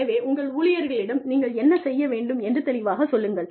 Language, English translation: Tamil, So, you just tell your employees, what you need them to do